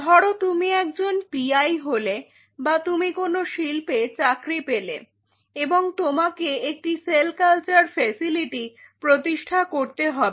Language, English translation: Bengali, So, you become a pi or you get a job in the industry and you have to set up a cell culture facility